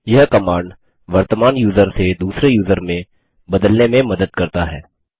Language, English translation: Hindi, This command is useful for switching from the current user to another user